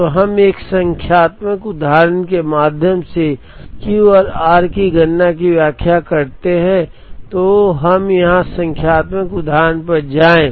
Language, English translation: Hindi, So we explain the computation of Q and r through a numerical example, so let us go to the numerical example here